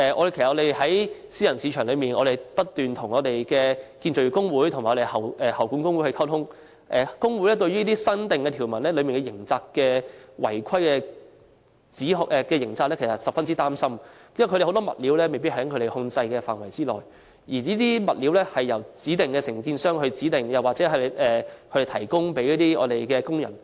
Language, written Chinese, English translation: Cantonese, 其實在私人市場內，我們不斷與建造業工會和喉管工會溝通，工會對於《條例草案》新訂條文的違規刑責，感到十分擔心，因為有很多物料，未必在他們控制範圍內，而這些物料是由承建商所指定，或由他們提供予工人。, In relation to the private sector actually we have been in close contact with trade unions in the construction sector and the plumbing sector . The unions are concerned about the proposed new sections in the Bill relating to criminal sanctions . Indeed the choices of materials are out of their control as the materials are specified or provided by contractors